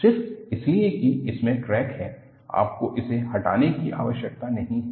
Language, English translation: Hindi, Just because it has a crack, you need not have to discard